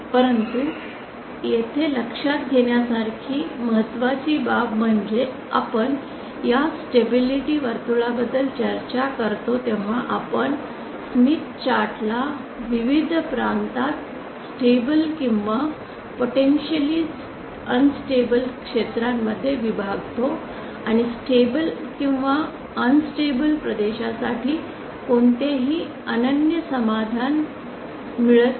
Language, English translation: Marathi, But the important thing to note here is that when we discuss about this stability circle we divide the smith chart in various region potentially unstable or stable regions and do not get any unique solution for the stable or unstable regions